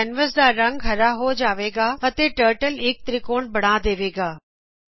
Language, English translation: Punjabi, The canvas color becomes green and the Turtle draws a triangle